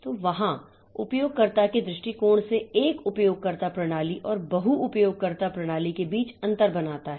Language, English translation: Hindi, So, there that makes the difference between a single user system and a multi user system from users perspective